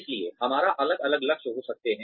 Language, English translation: Hindi, So, we may have different goals